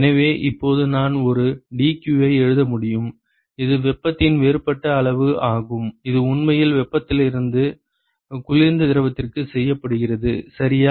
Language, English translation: Tamil, So, now, I can write a so, the dq which is the differential amount of heat that is actually transported from the hot to the cold fluid ok